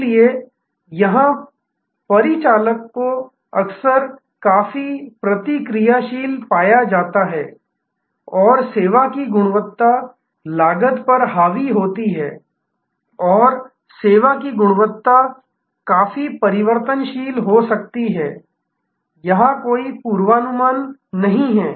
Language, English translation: Hindi, So, here operation is often found to be quite reactive and service quality is dominated by cost and service quality can be quite variable, there is no predictability here